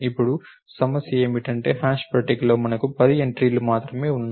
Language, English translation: Telugu, Now, the problem is because, the, we have only 10 entries in the hash table